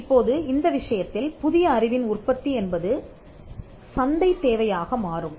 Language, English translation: Tamil, Now, the production of new knowledge in that case becomes a market necessity